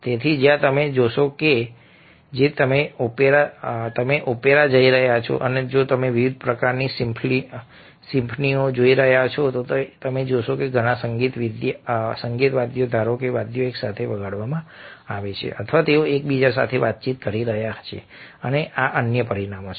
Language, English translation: Gujarati, so where you see that, if you are looking at opera, if you are looking at different kinds of symphonies, ok, then you will find that a lot of musical, let say, instruments are playing together or they are conversing amongst one one another, and these are other dimensions of music